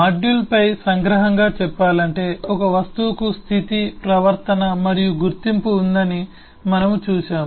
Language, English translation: Telugu, to summarize, on the module, we have seen that the object has state, behavior and identity